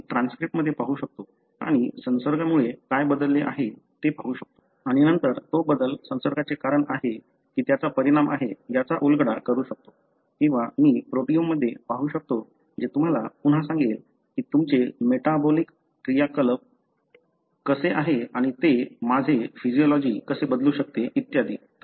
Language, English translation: Marathi, I can look into the transcript and see what has changed because of the infection and then decipher whether that change is a cause for the infection or a consequence of it or I can look into the proteome which again would tell you how, what is your metabolic activity and how that may change the way my physiology is and so on